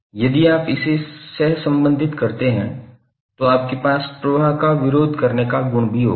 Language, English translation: Hindi, If you correlate this will also have the property to resist the flow